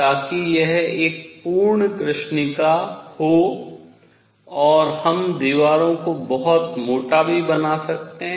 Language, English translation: Hindi, So, that it is a perfect black body and we can also make the walls very thick